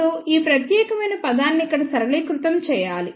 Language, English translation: Telugu, Now, we have to simplify this particular term over here